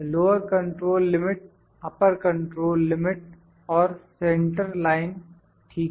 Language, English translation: Hindi, Lower control limit, upper control limit and centerline, ok